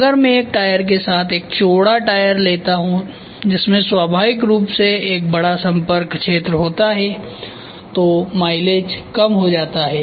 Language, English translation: Hindi, If I take a flatter tyre with a tire which has a larger contact area naturally the mileage is going to go low